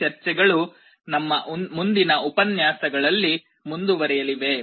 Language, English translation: Kannada, These discussions we shall be continuing in our next lectures